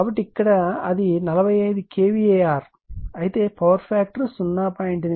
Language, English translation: Telugu, So, here it is give it 45 kVAr, but power factor is when 0